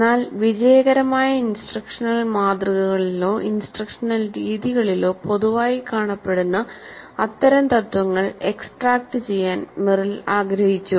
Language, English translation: Malayalam, But Merrill wanted to extract such principles which are common across most of the successful instructional models or instructional methods